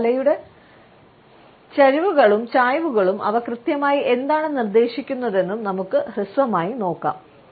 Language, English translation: Malayalam, Let us also briefly look at the head tilts and inclines and what exactly do they suggest